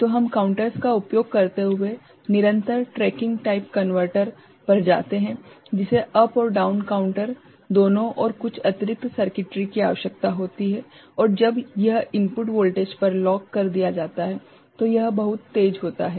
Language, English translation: Hindi, So, we move to continuous tracking type converter using counters, which requires both up and down counter and little bit of additional circuitry and when it is locked to the input voltage, it is very fast ok